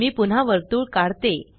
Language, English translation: Marathi, I want to place a circle